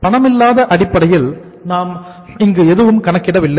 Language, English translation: Tamil, Nothing on the sort of non cash basis we have calculated here